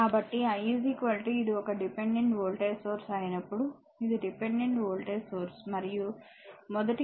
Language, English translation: Telugu, So, when I is equal to this is a your dependent voltage source, this is a dependent voltage source and first case is I is equal to 4 ampere